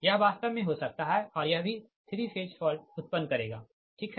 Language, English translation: Hindi, this, in reality, this also can happen, that this will create also three phase fault, right